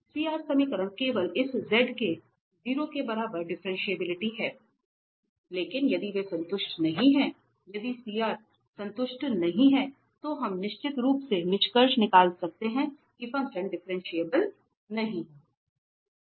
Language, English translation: Hindi, CR equations just not tell about differentiability of this z equal to 0 but if they are not satisfied if the equations are not satisfied, we can definitely conclude that the function is not differentiable